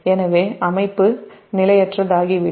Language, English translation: Tamil, so system will become unstable